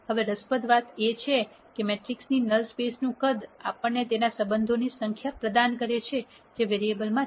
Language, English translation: Gujarati, Now interestingly the size of the null space of the matrix provides us with the number of relationships that are among the variables